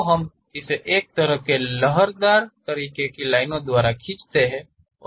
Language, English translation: Hindi, So, we show it by a kind of wavy kind of line